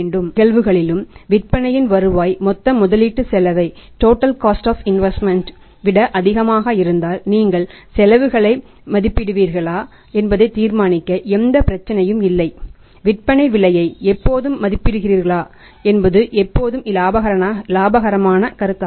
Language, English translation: Tamil, If in both the cases the return on sales is higher than the total investment cost then there is no problem to decide whether you valued at the costs are valued the selling price always it is a profitable proposition because selling price is very high